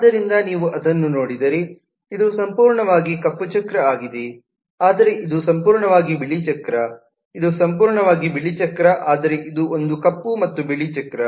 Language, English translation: Kannada, so if you look at that, this is completely black wheel, but this is completely white wheel, this is completely white wheel, whereas this one is black and white wheel, so we can classify the trains according to this